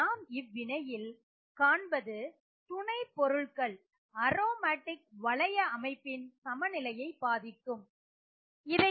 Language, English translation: Tamil, So now what we need to see is will substituents on the aromatic ring affect this equilibrium